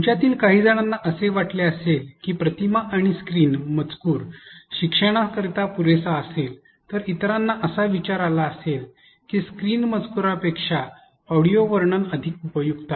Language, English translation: Marathi, Some of you may have felt that image and on screen text would be sufficient for learners, others may have thought that audio narration is more useful than on screen text